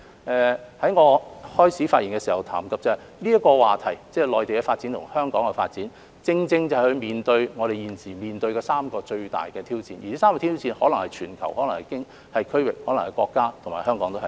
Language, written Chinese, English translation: Cantonese, 我在開始發言時談到，內地和香港的發展這個話題正正就是我們現時面對的3個最大的挑戰，可能是全球、區域、國家或香港。, As I mentioned at the beginning of my speech when we speak of the development of the Mainland and Hong Kong we cannot but discuss the three major challenges facing the world the region the country and Hong Kong